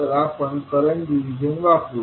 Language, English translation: Marathi, We will use the current division